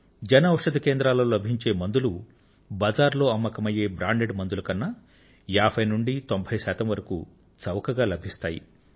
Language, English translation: Telugu, Medicines available at the Jan Aushadhi Centres are 50% to 90% cheaper than branded drugs available in the market